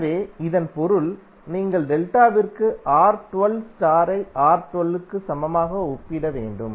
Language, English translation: Tamil, So that means that, you have to equate R1 2 for star equal to R1 2 for delta